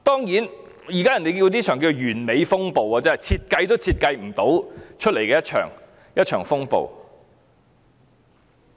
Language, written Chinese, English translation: Cantonese, 人們稱這亂象為"完美風暴"，是設計也設計不來的一場風暴。, People call this chaos a perfect storm a storm that is not subject to any designs